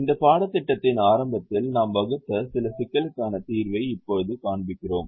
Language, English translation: Tamil, we now show this solution to some of the problems that be formulated right at the beginning of this course